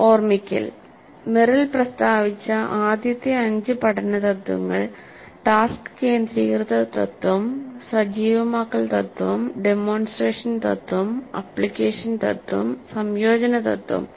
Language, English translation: Malayalam, Recalling the five first principles of learning as stated by Merrill are task centered principle, activation principle, demonstration principle, application principle, integration principle, integration principle